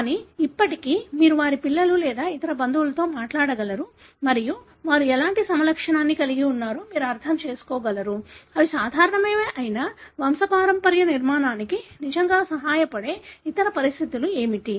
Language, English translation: Telugu, But still, you will be able to talk to their children or other relatives and still you will be able to understand what kind of phenotype they had; whether they were normal, what are the other conditions they had that really helps in constructing a pedigree